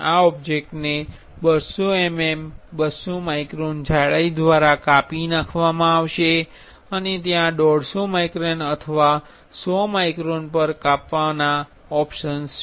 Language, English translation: Gujarati, This object will be sliced by 200 mm, 200 microns thickness and there are options for slicing at 150 microns or 100 microns